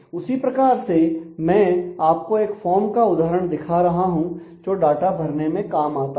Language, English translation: Hindi, Similarly here we are I am showing a an instance of a form which is use to input data